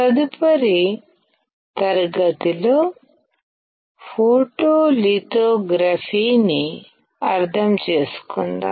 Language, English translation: Telugu, In the next class, let us understand photolithography